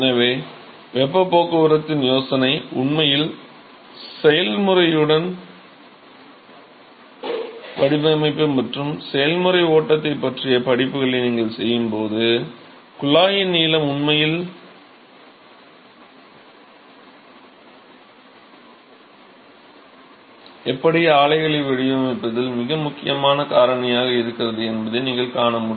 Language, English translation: Tamil, So, the idea of heat transport is actually done along with the process, when you do this process design and process flow sheet courses in the future semesters, you will see that the length of the tubing actually is the very important factor in designing how a plant has to be made